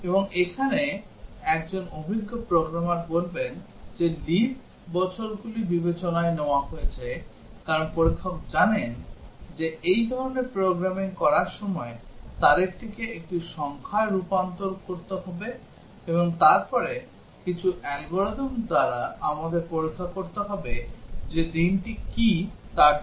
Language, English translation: Bengali, And here an experienced programmer would say that have leap years been taken into account, because the tester knows that while doing this kind of programming will have to convert the date into a number, and then by some algorithm we have to check what is the day for that